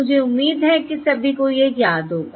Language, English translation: Hindi, I hope everyone remembers that right